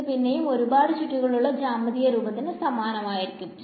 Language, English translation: Malayalam, It is again the same as the geometric picture that we had that there are many many swirls over here right